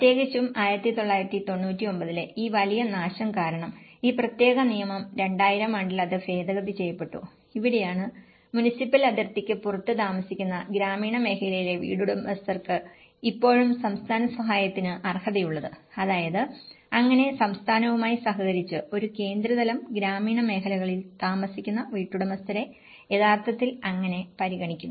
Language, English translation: Malayalam, And especially, due to this major devastation in1999, this particular law has been amended, somewhere around 2000 and this is where that only homeowners in rural areas who live in outside the municipal boundaries would still qualify for state assistance, so which means, so on a central level in collaboration with the state how they actually also considered the homeowners living in the rural areas